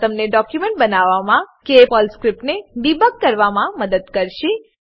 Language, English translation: Gujarati, These will help you to create a documentation or debug a PERL script